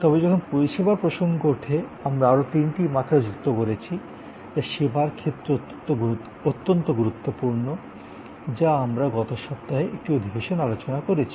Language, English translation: Bengali, But, when it comes to service, we have added three other dimensions which are very important for service, which we discussed in one of the sessions last week